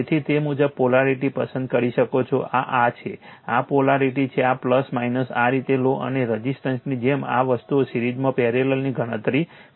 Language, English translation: Gujarati, So, accordingly you can choose the polarity this is your this is your this is your polarity, this is plus minus this way you take right and same as resistance you simply, calculate the series parallel this thing